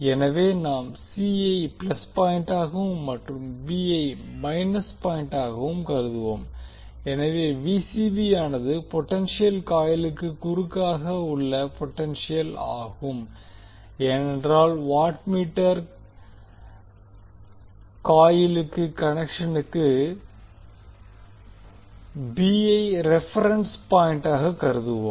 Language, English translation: Tamil, So we will consider the c s plus point and b s minus so Vcb will be the potential across the potential coil because we consider b as a reference point for the connection of the watt meter coils